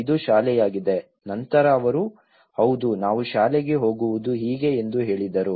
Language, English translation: Kannada, this is school then they said yeah this is how we travel to the school